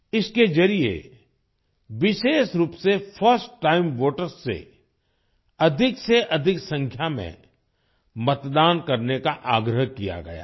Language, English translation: Hindi, Through this, first time voters have been especially requested to vote in maximum numbers